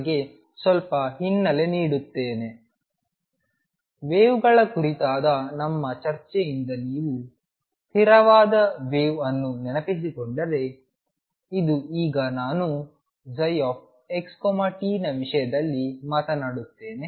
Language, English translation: Kannada, Let me this give you a little background if you recall from our discussion on the waves a stationary wave was something that had now I will talk in terms of psi x t